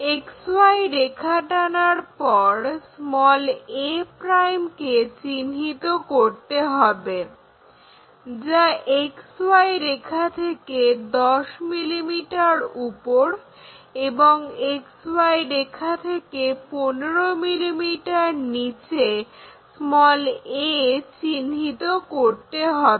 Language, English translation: Bengali, After drawing this XY line locate a ' is equal to 10 mm this point this will be 10 mm and a 15 mm